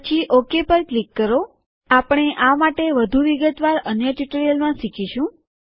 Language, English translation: Gujarati, Then click on OK We will learn about this in more details in another tutorial